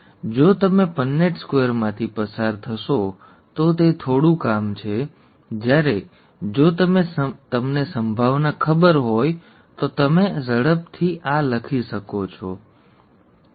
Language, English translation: Gujarati, If you go through the Punnett Square, it is some amount of work, whereas if you know probability, you can quickly write down this, okay